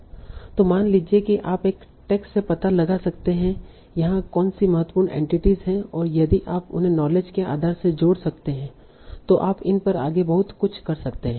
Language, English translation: Hindi, So suppose you can find out from a text what are the important entities here and if you can link them to a knowledge base